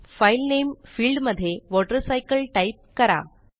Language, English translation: Marathi, The file is saved as WaterCycle